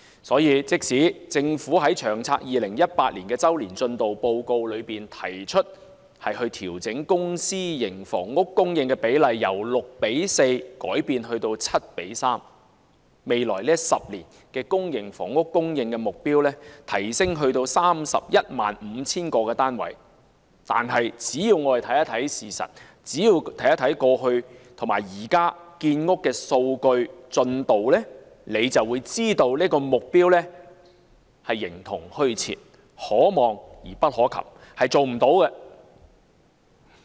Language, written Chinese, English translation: Cantonese, 所以，即使政府在《長遠房屋策略》2018年周年進度報告提出調整公私營房屋供應比例，由 6：4 改至 7：3， 把未來10年公營房屋的供應目標提升至 315,000 個單位，但我們只要看一看事實，看一看過去及現時的建屋進度數據，就會知道這個目標是形同虛設，可望而不可及，無法做到的。, Therefore although the Government has proposed to raise the publicprivate split from 6col4 to 7col3 in the Long Term Housing Strategy Annual Progress Report 2018 and revised the supply target for public housing to 315 000 units for the next 10 years we will realize that this target is unachievable simply by looking at the facts as well as past and current data on housing construction progress